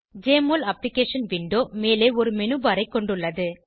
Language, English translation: Tamil, Jmol Application window has a menu bar at the top